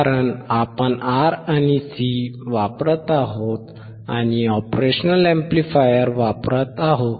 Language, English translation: Marathi, Because we are using R we are using C and we are using operational amplifier